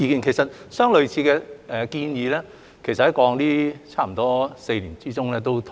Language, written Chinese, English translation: Cantonese, 其實，相類似的建議在過去差不多4年內也討論過。, In fact similar proposals have been discussed over the past four years